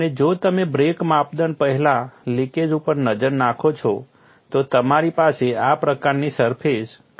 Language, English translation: Gujarati, And if you look at the leak before break criterion, you have a surface crack like this